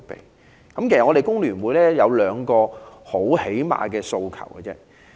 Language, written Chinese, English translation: Cantonese, 香港工會聯合會有兩個很基本的訴求。, The Hong Kong Federation of Trade Unions FTU has put forward two basic requests